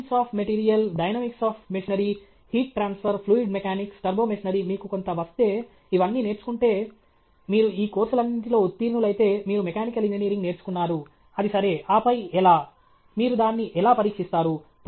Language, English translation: Telugu, Science of material, dynamics of machinery, heat transfer, fluid mechanics, turbo machinery if you learn all this, if you get some… if you pass in all these courses, then you have learnt mechanical engineering; that is the assumption okay